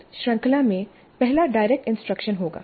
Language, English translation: Hindi, So the first of this series would be the direct instruction